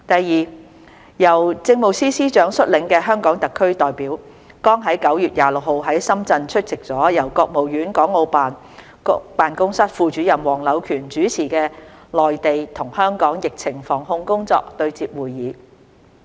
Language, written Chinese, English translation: Cantonese, 二由政務司司長率領的香港特區代表，剛在9月26日在深圳出席了由國務院港澳事務辦公室副主任黃柳權主持的內地與香港疫情防控工作對接會議。, 2 Hong Kong SAR representatives led by the Chief Secretary for Administration attended a meeting on the anti - epidemic work of the Mainland and Hong Kong hosted by Deputy Director of the Hong Kong and Macao Affairs Office of the State Council Mr HUANG Liuquan in Shenzhen on 26 September 2021